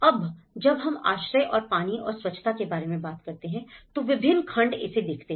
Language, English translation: Hindi, Now, when we talk about the shelter and water and sanitation, so different segments they look at it